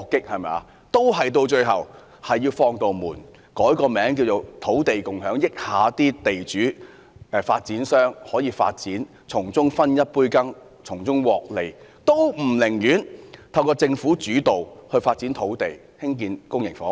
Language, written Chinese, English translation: Cantonese, 最後，當局還是要開一道門，改名為"土地共享"，讓地主及發展商參與發展，讓他們分一杯羹，從中獲利，但卻不肯透過政府主導來發展土地，興建公營房屋。, Eventually the authorities insist on opening a door for land owners and real estate developers to take part in the development on the pretext of Land Sharing so that they can get in on the action and reap profits . Yet the authorities are unwilling to make the Government to take the lead in developing land for the construction of public housing